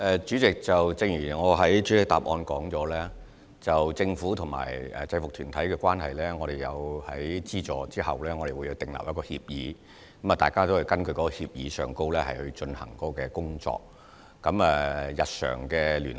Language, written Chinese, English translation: Cantonese, 主席，正如我的主體答覆所說到政府和制服團體的關係，就是我們作出資助時，會與他們訂立協議，大家會根據這協議來進行工作，而我們會繼續日常的聯繫。, President as I explained in the main reply about the relationship between the Government and UGs we will enter into an agreement with the UG to which funding is provided . Both parties will work in accordance with the agreement and we will maintain day - to - day liaison with them